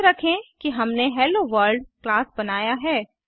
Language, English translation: Hindi, Recall that we created class HelloWorld